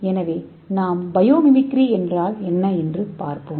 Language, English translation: Tamil, So let us see a simple example for biomimicry